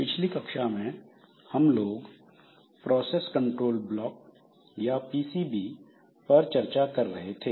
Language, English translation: Hindi, So, in our class we are discussing on the process control block or PCB